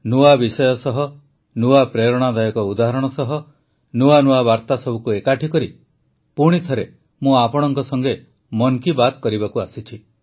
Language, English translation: Odia, With new topics, with new inspirational examples, gathering new messages, I have come once again to express 'Mann Ki Baat' with you